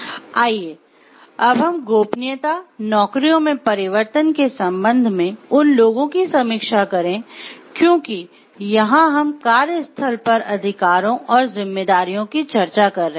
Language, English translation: Hindi, Let us review those with respect to confidentiality, the changing of jobs, because here we are discussing about the workplace rights and responsibilities